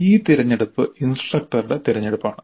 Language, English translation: Malayalam, So this choice is the choice of the instructor